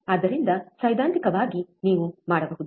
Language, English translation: Kannada, So, theoretically you can theoretical you can